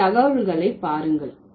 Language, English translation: Tamil, Look at the data here